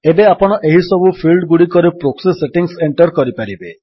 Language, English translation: Odia, You can now enter the the proxy settings in these fields